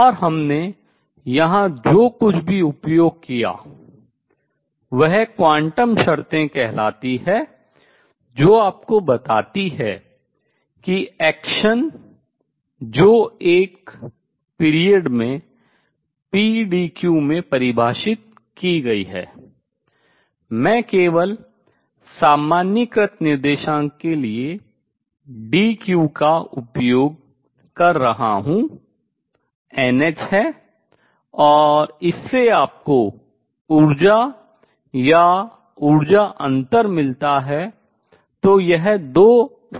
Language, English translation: Hindi, And what we have used here are some thing called the quantum conditions that tell you that the action a which is defined over a period pdq, I am just using dq for generalized coordinate is n h and that gave you the energies or energy differences